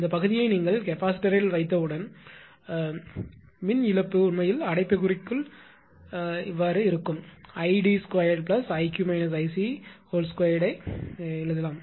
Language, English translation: Tamil, As soon as you put the capacitor this part, the lost will be actually in the bracket I can write id square plus i q minus i c square right